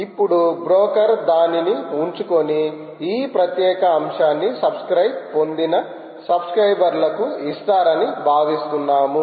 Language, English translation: Telugu, and now the broker is expected to keep it with it and give it to all subscribers who subscribe to this particular topic